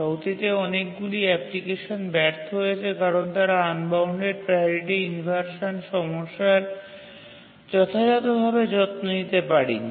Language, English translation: Bengali, Many applications in the past have failed because they could not take care of the unbounded priority inversion problem adequately